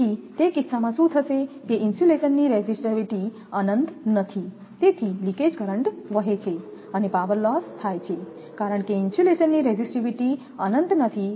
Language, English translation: Gujarati, So, in that case what will happen, since the resistivity of the insulation is not infinite, leakage current flows and a power loss occurs because insulation resistivity is not infinity